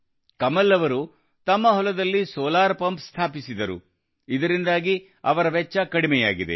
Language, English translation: Kannada, Kamal ji installed a solar pump in the field, due to which his expenses have come down